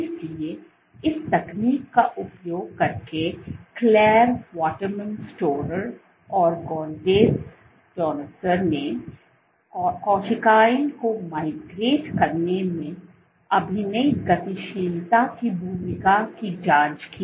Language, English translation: Hindi, So, using this technique, Clare Waterman Storer and Gaudenz Danuser they probed the role of acting dynamics in migrating cells